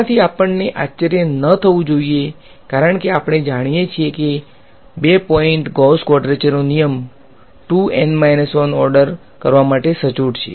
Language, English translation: Gujarati, This should not surprise us because, we know that 2 point Gauss quadrature rule is accurate to order 2 N minus 1 right 2 N minus 1